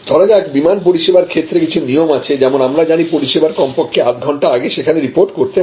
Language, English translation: Bengali, So, for a example in airline service, there are some standards of that you know you need to report at least half an hour before the service